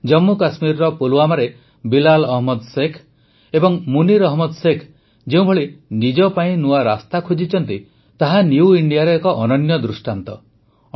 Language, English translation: Odia, The way Bilal Ahmed Sheikh and Munir Ahmed Sheikh found new avenues for themselves in Pulwama, Jammu and Kashmir, they are an example of New India